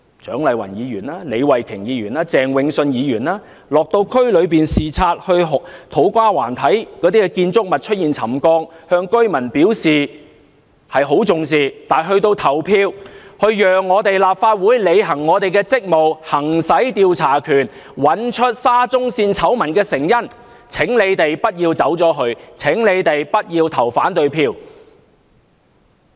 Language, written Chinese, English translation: Cantonese, 蔣麗芸議員、李慧琼議員及鄭泳舜議員落區視察時，看到土瓜灣的建築物出現沉降，向居民表示很重視，但到投票讓立法會履行職務、行使調查權找出沙中線醜聞的成因時，請他們不要走開，請他們不要投反對票。, Dr CHIANG Lai - wan Ms Starry LEE and Mr Vincent CHENG told the residents that they attached great importance to the settlement of buildings in To Kwa Wan during their visits to the districts . However when it comes to voting to enable the Legislative Council to perform its duties and to exercise its power to investigate the reasons leading to the SCL scandal I call on them not to leave the Chamber and not to vote against the motions